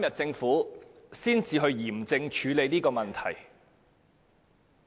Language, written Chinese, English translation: Cantonese, 政府到今天才嚴正處理這個問題。, Only now is the Government addressing this issue seriously